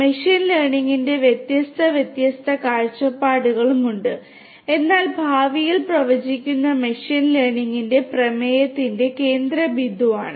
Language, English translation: Malayalam, There are different different other views of machine learning as well, but making predictions in the future is something that you know that that is something that is central to the theme of machine learning